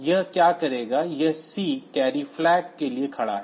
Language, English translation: Hindi, So, what it will do this C stands for the carry flag